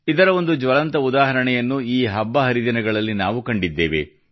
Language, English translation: Kannada, We have seen a direct example of this during this festive season